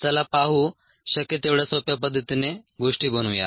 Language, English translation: Marathi, let us make things as simple as possible